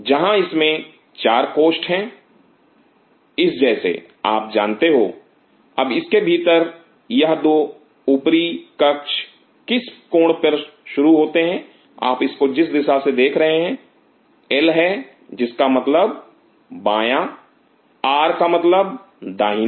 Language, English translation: Hindi, Where it has 4 chambers like this you know, now within it these are the 2 Upper chambers beginning on which angle you are looking at it from which side L stand for left R stand for right